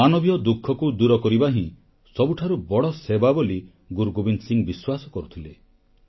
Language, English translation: Odia, Shri Gobind Singh Ji believed that the biggest service is to alleviate human suffering